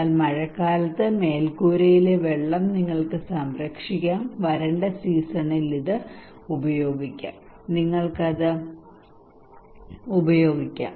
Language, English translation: Malayalam, But you can just preserve the water from your rooftop during the rainy season, and you can preserve it for dry season, and you can use it okay